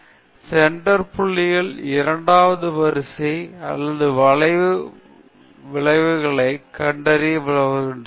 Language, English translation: Tamil, So, the center points help to detect the second order or curvature effects